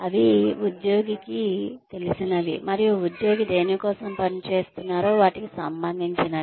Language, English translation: Telugu, They should be relevant to, what the employee knows, and what the employee is working towards